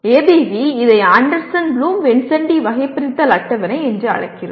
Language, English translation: Tamil, ABV we are calling it Anderson Bloom Vincenti taxonomy table